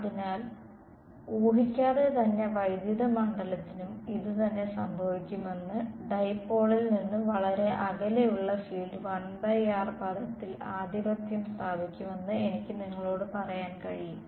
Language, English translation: Malayalam, So, the and the same without yet deriving it I can tell you that the same will happen for the electric field also, the field far away from the dipole will be dominated by a 1 by r term